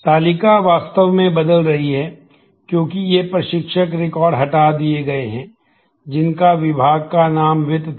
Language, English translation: Hindi, The table is actually changing; because these instructor records are deleted whose department name was finance